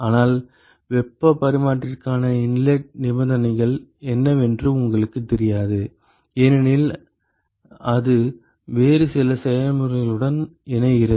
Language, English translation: Tamil, But you may not know what is the inlet conditions for the heat exchanger because it connects to some other process